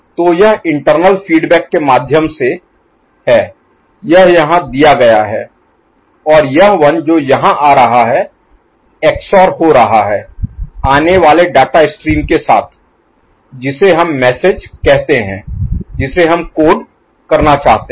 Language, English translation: Hindi, So, this is through internal feedback this is fed here and this one that is coming over here that is getting XORed with the incoming data stream which we call as say, message which we want to code